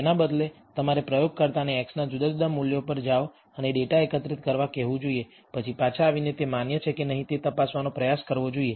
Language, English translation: Gujarati, Instead, you should ask the experimenter to go and collect data different values of x, then come back and try to check whether that is valid